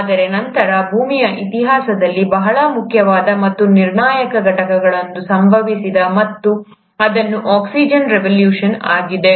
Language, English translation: Kannada, But then, there has been a very important and one of the most crucial turn of events in history of earth, and that has been the oxygen revolution